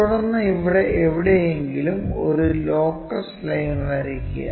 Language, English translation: Malayalam, Then, draw a locus line somewhere here